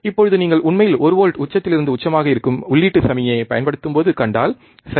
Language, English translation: Tamil, Now, if you really see that when we have applied the input signal which is one volt peak to peak, right